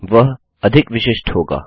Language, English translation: Hindi, It will be more specific